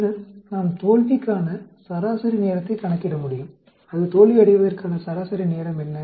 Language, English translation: Tamil, Then we can calculate the mean time to failure, What is the mean time for it to fail